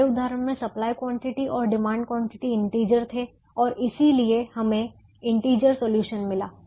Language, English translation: Hindi, in our example, the supply quantities and the demand quantities were integers and therefore we got integer solutions